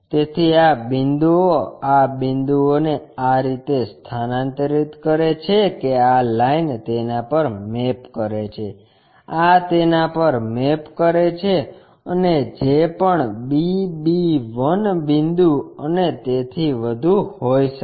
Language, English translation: Gujarati, So, these point these points transferred in such a way that this line maps to that, this one maps to that and whatever the b b 1 points and so on